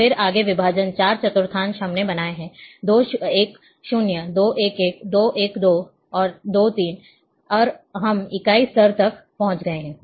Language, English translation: Hindi, So, then again further divisions, 4 quadrant we have created 2 1 0, 2 1 1, 2 1 2 and 2 3, and we have reached to the unit level